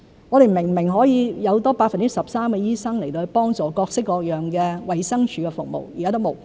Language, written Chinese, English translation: Cantonese, 我們明明可以有多 13% 的醫生去幫助提供各式各樣的衞生署服務，現時也沒有。, We are supposed to have 13 % more doctors to help to provide various kinds of services in DH but we do not have them now